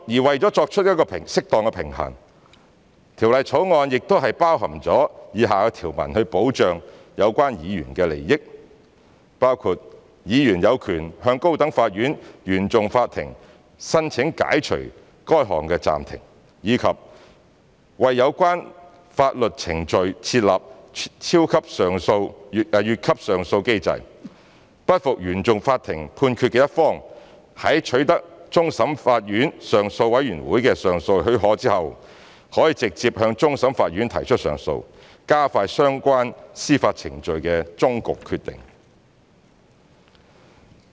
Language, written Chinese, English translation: Cantonese, 為作出適當平衡，《條例草案》亦已包括以下條文，以保障有關議員的利益，包括議員有權向高等法院原訟法庭申請解除該項暫停；及為有關法律程序設立"越級上訴機制"，不服原訟法庭判決的一方，在取得終審法院上訴委員會的上訴許可後，可直接向終審法院提出上訴，加快相關司法程序的終局決定。, In order to strike a proper balance the Bill also includes the following provisions to protect the interests of the members concerned which includes the member concerned has the right to apply to Court of First Instance of the High Court CFI to lift such suspension and a leap - frog appeal mechanism has been introduced for the relevant proceedings . A party who is not satisfied with a decision made by CFI may lodge an appeal to the Court of Final Appeal CFA direct subject to leave being granted by the Appeal Committee of CFA thereby ensuring the final decision of the legal proceedings can be attained as soon as possible